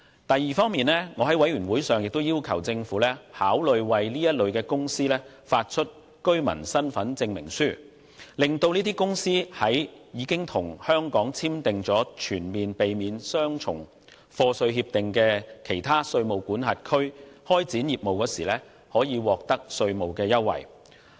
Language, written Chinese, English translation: Cantonese, 第二方面，我在法案委員會會議上，要求政府考慮為此類公司發出居民身份證明書，讓這些公司在已經與香港簽訂全面性避免雙重課稅協定的其他稅務管轄區開展業務時可以獲得稅務優惠。, Secondly at the meeting of the Bills Committee I have asked the Government to consider issuing certificates of resident status to such companies with a view to facilitating them in seeking tax benefits in other tax jurisdictions which have signed Comprehensive Double Taxation Agreements with Hong Kong